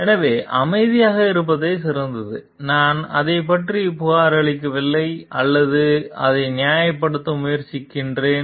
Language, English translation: Tamil, So, best is to keep silent and I do not report about it or I try to justify about it